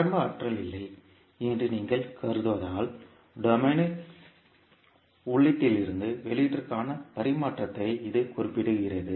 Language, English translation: Tamil, It specifies the transfer from input to the output in as domain as you mean no initial energy